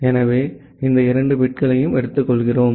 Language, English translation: Tamil, So, we take these two bits